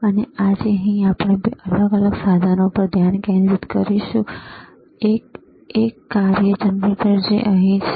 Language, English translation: Gujarati, And here today we will concentrate on two different equipments: one is function generator which is right over here